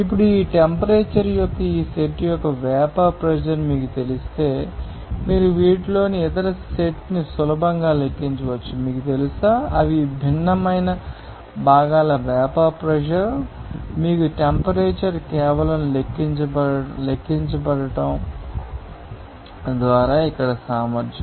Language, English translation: Telugu, Now, if you know the vapour pressure of this either set of this temperature, then you can easily calculate the other set of this, you know, vapour pressure of the components they are different, you know the temperature, you know, just by calculating the efficiency here